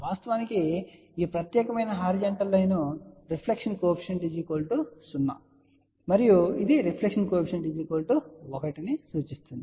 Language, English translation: Telugu, In fact, this particular horizontal line which is shown that actually is a reflection coefficient equal to 0 point and this is a reflection coefficient equal to 1